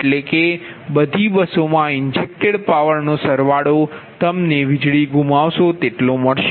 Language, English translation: Gujarati, that means that some of injected power at all buses will give you the power loss